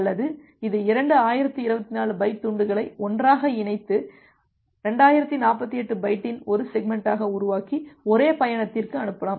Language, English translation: Tamil, Or it can combine thousand two 1024 byte chunk together, and create a single segment of 2048 byte and send it to one go